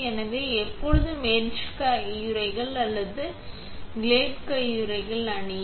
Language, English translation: Tamil, So always wear to for etch gloves or parrot gloves